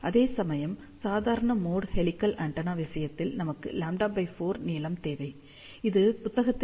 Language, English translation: Tamil, Whereas, in case of normal mode helical antenna, we need a lambda by 4 length, this is according to the book little bit later on